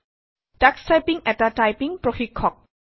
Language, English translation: Assamese, Tux Typing is a typing tutor